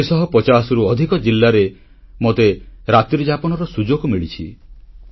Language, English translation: Odia, In more than four hundred & fifty districts, I had a night stay too